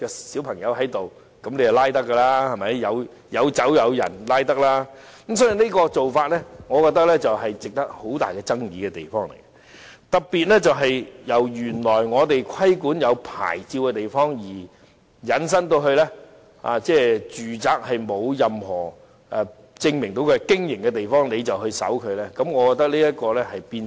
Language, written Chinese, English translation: Cantonese, 所以，我覺得這個做法會引起很大爭議。特別是，由原來我們規管有牌照的地方，引申到沒有證據證明有賣酒的住宅，也可以搜查。, I thus hold that this practice will arouse much controversial since searches will be extended from licensed premises to domestic premises which are not proved to have stored liquor